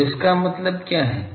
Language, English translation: Hindi, So, this means what